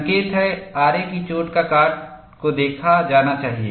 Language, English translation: Hindi, The indication is, saw cut has to be looked at